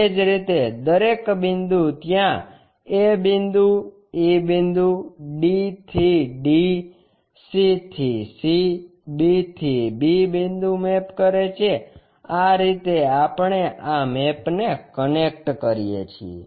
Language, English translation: Gujarati, Similarly, each and every point mapped there a point, e point, d to d, c to c, b to b points, this is the way we connect these maps